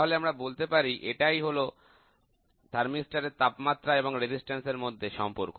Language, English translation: Bengali, So, this is the relationship between thermistor temperature and resistance